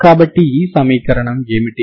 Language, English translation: Telugu, So, what is the equation